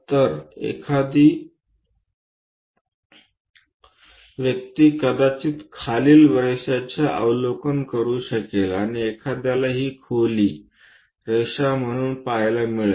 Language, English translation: Marathi, So, one might be in a position to observe the following lines and one will be seeing this depth as lines